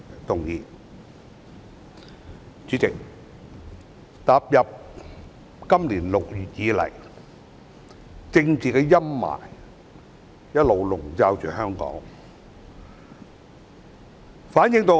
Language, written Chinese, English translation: Cantonese, 代理主席，踏入今年6月以來，政治陰霾一直籠罩香港。, Deputy President Hong Kong has all along been overcast by political shadows upon stepping into June this year